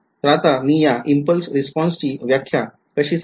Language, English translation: Marathi, So, now how do I define the impulse response